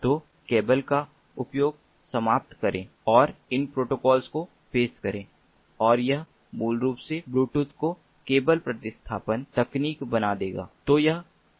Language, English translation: Hindi, so use, do away with the cables and introduce these protocols ah, and that will basically make ah, ah, bluetooth, a cable replacement technology